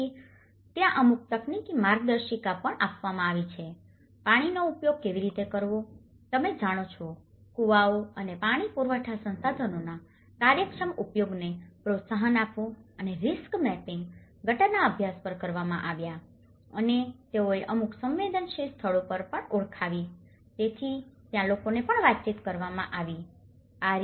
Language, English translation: Gujarati, So, there have been also provided with certain technical guidelines, how to use water and you know promoting an efficient use of wells and water supply resources and risk mapping has been done on the drainage studies and they also identified certain vulnerable locations, so, there have been also communicated to the people